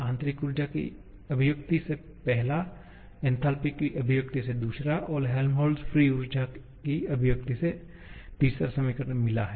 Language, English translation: Hindi, The first one from the internal energy expression, second one from the enthalpy expression, third one from the Helmholtz free energy expression